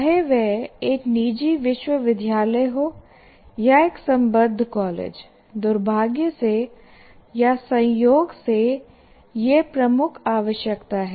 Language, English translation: Hindi, Whether it is a private university or in an affiliated college, you still have this unfortunately or incidentally is a major requirement